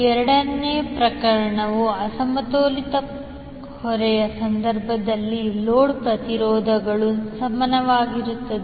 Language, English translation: Kannada, Second case might be the case of unbalanced load where the load impedances are unequal